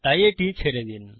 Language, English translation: Bengali, So skip this